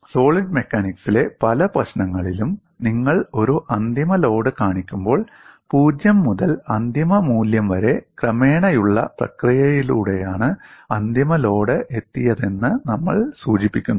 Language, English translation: Malayalam, In many problems in solid machines, when you show a final load we implicitly assume that the final load was reached through a gradual process from 0 to the final value